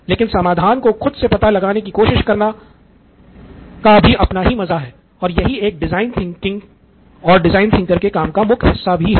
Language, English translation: Hindi, But trying to figure it out yourself is part of the fun and yes it is also part of a job as a design thinker